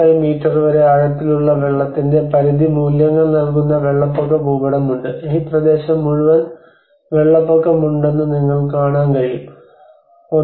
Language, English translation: Malayalam, 5 meter depth of inundation there is inundation map and if you can see that this whole region is completely flooded right about 1